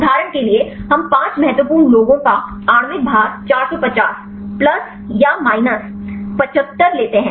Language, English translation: Hindi, For example, we take the five important ones molecular weight this is 450, plus or minus 75